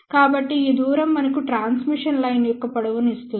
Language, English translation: Telugu, So, this distance will give us the length of the transmission line